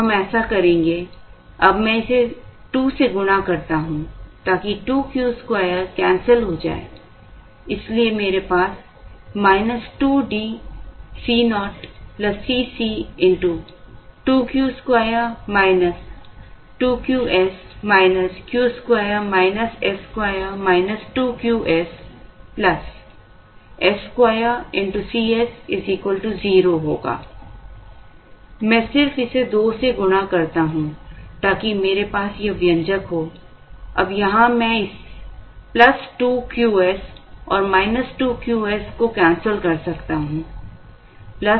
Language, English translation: Hindi, We will do that now, now I multiply this by 2 so that, the 2 Q square gets canceled, so I will have minus 2 D C naught plus C c into, this is 2 Q square minus 2 Q s minus Q square minus s square plus 2 Q s minus s square C s equal to 0